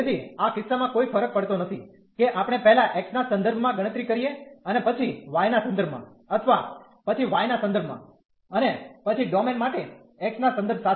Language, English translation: Gujarati, So, in this case it does not matter whether we first compute with respect to x and then with respect to y or first with respect to y and then with respect to x for such domain